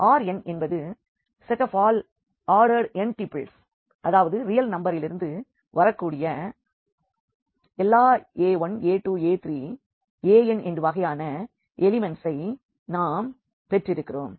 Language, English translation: Tamil, So, this R n is this set of all this ordered n tuples means we have the elements of this type a 1, a 2, a 3, a n and all these as are from the real number